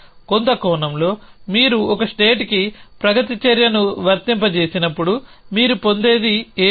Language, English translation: Telugu, In some sense is that when you apply a progress action to a state what you get is a state